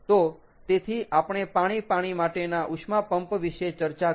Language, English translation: Gujarati, so therefore we we have discussed water water heat pump